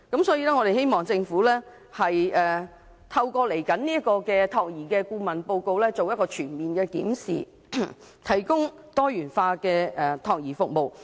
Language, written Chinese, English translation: Cantonese, 所以，我們希望政府透過未來的託兒顧問報告，進行全面檢視，提供多元化託兒服務。, Hence we hope the Government can conduct a comprehensive review through the upcoming consultancy report so as to provide diversified child care services